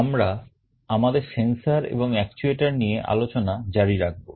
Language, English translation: Bengali, We continue with our discussion on Sensors and Actuators